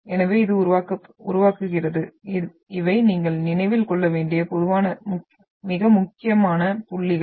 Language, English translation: Tamil, So it produces, these are the typical very important points which you should remember